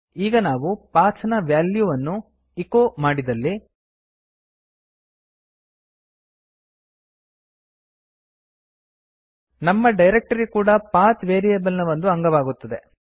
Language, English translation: Kannada, Now if we echo the value of PATH, our added directory will also be a part of the PATH variable